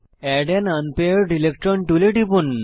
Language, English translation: Bengali, Click on Add an unpaired electron tool